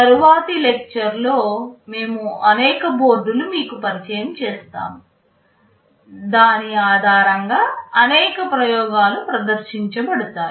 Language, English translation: Telugu, In the next lecture we shall be introducing you to one of the boards based on which many of the experiments shall be demonstrated